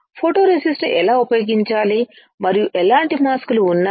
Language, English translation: Telugu, How to use a photoresist and what kind of masks are there